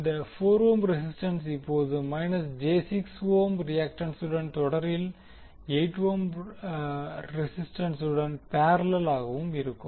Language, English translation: Tamil, And this 4 ohm resistance will now be in parallel with 8 ohm resistance in series with minus j 6 ohm reactant